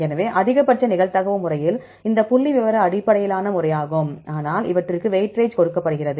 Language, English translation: Tamil, So, in the maximum likelihood method these are the statistical based method, but they give weightage